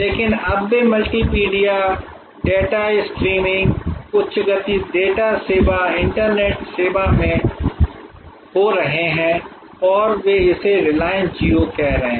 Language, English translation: Hindi, But, they are now getting into multimedia data streaming high speed data service internet service and they are calling it Reliance Jio